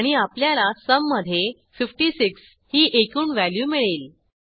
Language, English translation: Marathi, And we get the total value in sum as 56